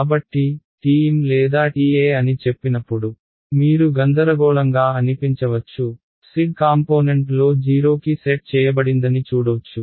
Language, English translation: Telugu, So, you might find it confusing when they say TM or TE just see which of the z component is being set to 0 ok